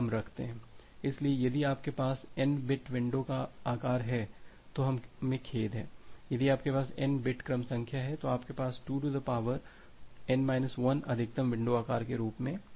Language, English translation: Hindi, So, if you have n bit if you have n bit window size then we have sorry, if you have n bit sequence number then, you have 2 to the power n minus 1 as your maximum window size